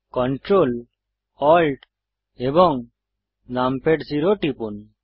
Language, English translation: Bengali, Press Control, Alt Num Pad zero